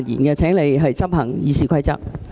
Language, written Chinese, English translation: Cantonese, 代理主席，請執行《議事規則》。, Deputy President please enforce the Rules of Procedure